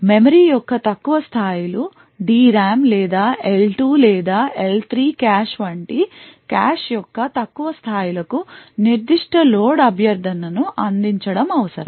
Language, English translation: Telugu, The lower levels of memory either the DRAM or lower levels of the cache like the L2 or the L3 cache would require to service that particular load request